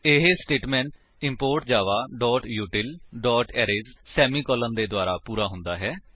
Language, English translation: Punjabi, It is done by the statement import java.util.Arrays semicolon